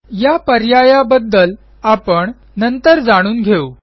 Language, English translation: Marathi, We will learn about these later